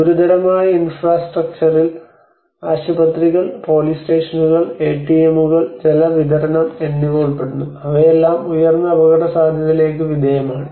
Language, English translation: Malayalam, Critical infrastructure includes hospitals, police stations, and ATMs, water supply and they are all subjected to the high risk